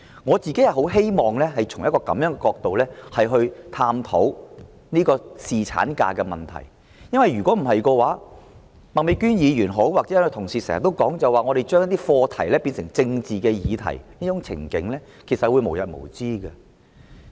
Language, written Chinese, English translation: Cantonese, 我個人十分希望從這樣的角度探討侍產假的問題；否則，不論是麥美娟議員或其他同事也經常說，我們將一些課題變成政治議題的這種情景，將會無日無之。, I personally very much hope to explore the issue of paternity leave from this perspective . Otherwise as Ms Alice MAK or other colleagues often say the trend of turning some topics into political issues will become the order of the day